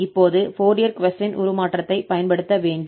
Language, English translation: Tamil, So this is called the inverse Fourier cosine transform